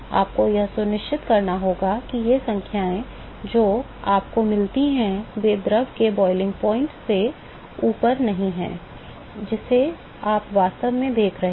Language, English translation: Hindi, You have to make sure that these numbers that you get are not above the boiling point of the fluid, that you are actually looking at